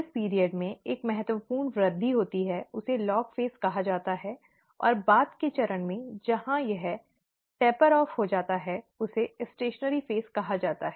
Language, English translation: Hindi, The period where there is a significant increase is called the ‘log phase’, and the later phase where it tapers off is called the ‘stationary phase’